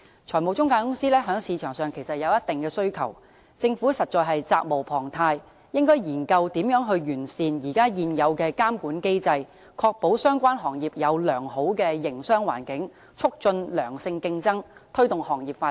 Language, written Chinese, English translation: Cantonese, 財務中介公司在市場上有一定的需求，政府實在責無旁貸，應研究如何完善現有監管機制，確保相關行業有良好的營商環境，促進良性競爭，推動行業發展。, Given the demands for financial intermediaries in the market it is incumbent upon the Government to explore how best the existing regulatory mechanism can be improved to ensure a business - friendly environment for the relevant industry promote healthy competition and take forward the development of the industry